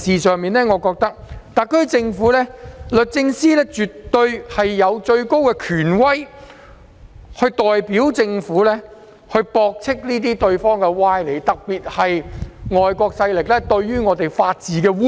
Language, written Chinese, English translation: Cantonese, 就此，我認為特區政府的律政司絕對有最高權威，可代表政府駁斥這些歪理，特別是外國勢力對香港法治的污衊。, In this regard my view is that the Department of Justice DoJ of the SAR Government definitely has the highest authority to refute these fallacious arguments on behalf of the Government particularly in the cases of defamation attacks by foreign powers on the rule of law in Hong Kong